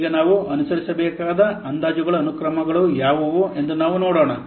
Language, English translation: Kannada, Now let's see what are the sequences of the estimations that we have to follow